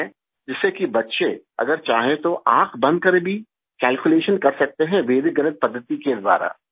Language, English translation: Hindi, So that if the children want, they can calculate even with their eyes closed by the method of Vedic mathematics